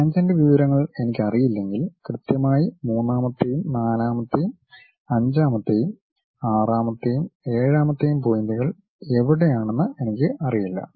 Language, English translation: Malayalam, Unless I know the tangent information I do not know where exactly the third, fourth, fifth, sixth, seventh points are present